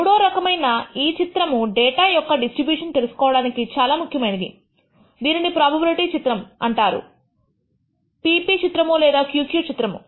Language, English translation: Telugu, The third kind of plot which is very useful is to know about the distribution of the data and this is called the probability plot the p p plot or the q q plot